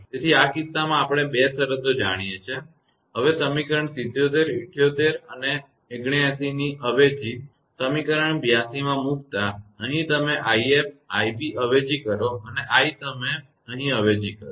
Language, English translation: Gujarati, So, in this case these two conditions we know; now substituting equation 77, 78 and 79; into equation 82, here you substitute i f; i b and i f; i b and i you substitute here